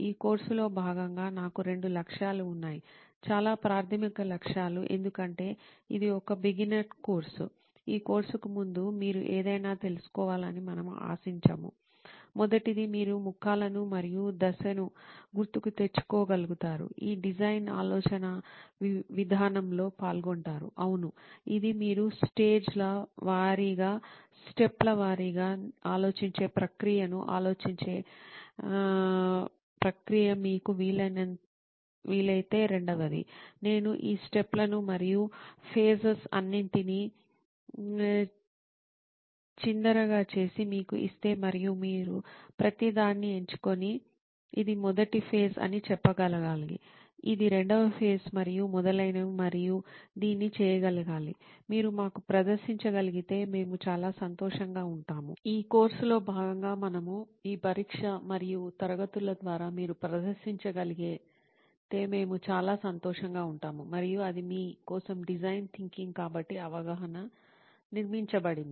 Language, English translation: Telugu, I have two objectives as part of this course, very basic objectives because this is a beginner course, we do not expect you to know anything prior to this course, the first one will be that you are able to recall the faces and the step that are involved in this design thinking process, yes, it is a process of thinking you setting a stage by stage, step by step process of thinking, second would be if you can, if I scramble all these steps and faces and give it to you and you should be able to do pick each one and say this one is the first phase, this is the second phase and so on and so forth and be able to do this, we will be very happy if you can demonstrate to us through the test and classes that we conduct in this, as part of this course, if you were able to demonstrate we will be very happy and that is design thinking for you, so the awareness is built